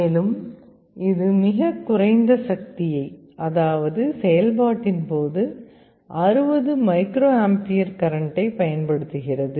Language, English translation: Tamil, And it also consumes very low power, 60 microampere current during operation